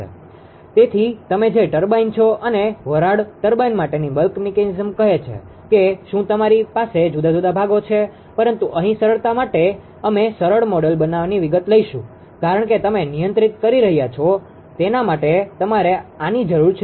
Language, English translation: Gujarati, So, so the turbine in that you are and bulk mechanism for the steam turbine say do you have different sections right, but he here for the simplicity we will take the simplest model detail will not consider right, because you need this ah one for the you are controlling the steam flow the steam chest